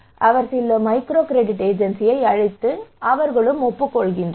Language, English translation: Tamil, So he called some microcredit agency, and they said okay yes you can